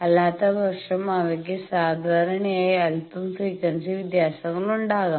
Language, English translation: Malayalam, So, otherwise they generally dipped a bit, frequency changes